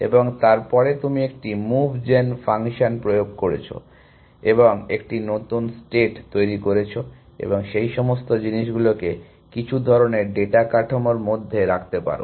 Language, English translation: Bengali, And then you have applied a move gen function and you generate a new state and you put all those things into some kind of a data structure essentially